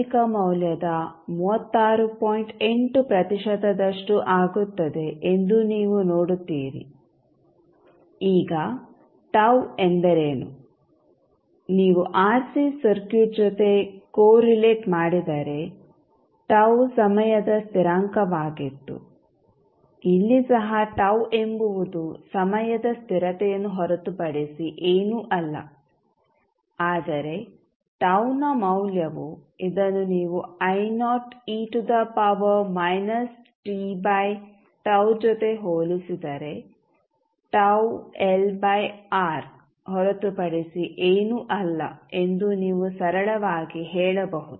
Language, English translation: Kannada, 8 percent of its initial value now, what is tau, if you correlate with the RC circuit tau was the time constant here also the tau is nothing but the time constant but the value of tau would be if you compare this with the I naught e to the power minus t by tau, then you can simply, say tau is nothing but L by R